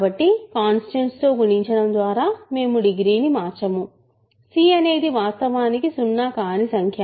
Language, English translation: Telugu, So, by multiplying by a constant, we do not change the degree; c is of course, non zero